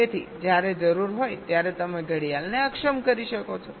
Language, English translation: Gujarati, so when required you can enable the clock, so when required you can disable the clock